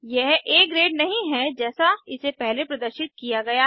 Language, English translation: Hindi, It is not A grade as it displayed before